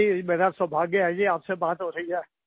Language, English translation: Hindi, I am lucky to be talking to you